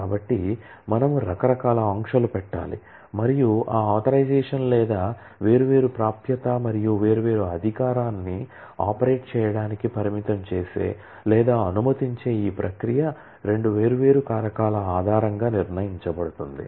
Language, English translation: Telugu, So, we need to put variety of restrictions and as we will see that authorisation or this process of restricting or allowing different access and different authority to operate is decided based on two different factors